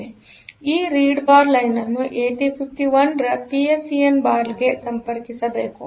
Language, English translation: Kannada, So, that read bar line it should be connected to the PSEN bar line of the 8051